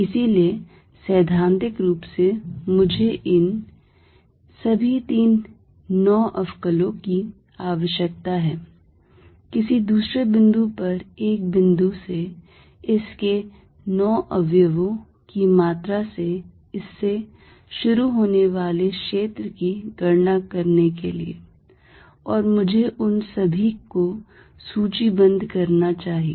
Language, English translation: Hindi, So, in principle I need all these three 9 differentials, three for each component in order to calculate field at some other point starting from it is value from a given point 9 components and I should be listing all of them